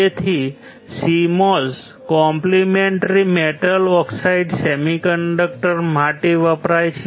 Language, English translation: Gujarati, So, CMOS stands for complementary metal oxide semiconductor